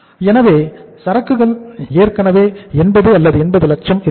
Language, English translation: Tamil, So invent is already 80,000 or 80 lakhs